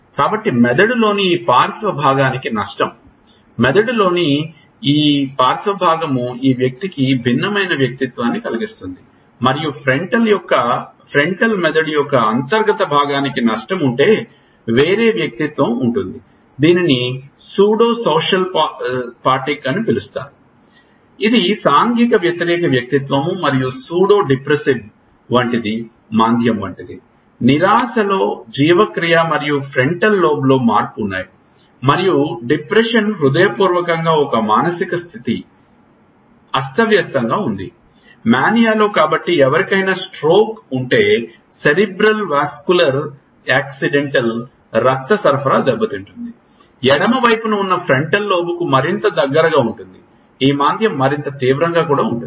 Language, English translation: Telugu, So, damage to this lateral part of the brain, this lateral part of the brain this part causes a different personality and if there is a damage to the internal part of frontal brain there is a different personality which are called pseudo socio pathic, which is like an anti social personality and Pseudo depressive it is like depression, in depression there are change in metabolism and frontal lobe which and depression is sincerely a mood disordered, in mania so it is said that if somebody has a stroke a cerebral vascular accidental, blood supply is hampered, the more neared to the it to the frontal lobe on the left side it is the more severe the depression is